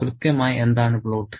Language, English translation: Malayalam, Now, what exactly is plot